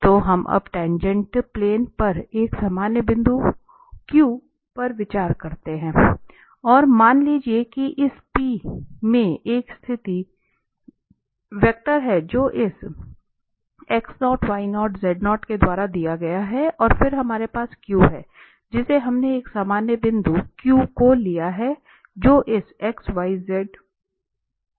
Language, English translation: Hindi, So, consider a general point here Q on the tangent plane now, and suppose this P has a position vector which is given by this x0, y0 and z0 and then we have a Q we have taken a general point this Q there, which can be given by this x, y, z